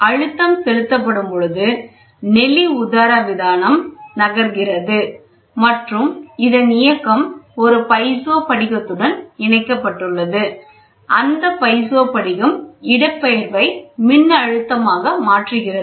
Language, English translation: Tamil, So, the pressure is applied the diaphragm corrugated diaphragm moves and this movement, in turn, is giving is attached to a piezo crystal, piezo crystal converts displacement into voltage